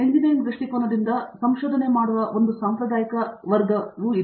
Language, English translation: Kannada, That is one traditional way of approaching, researching from engineering point of view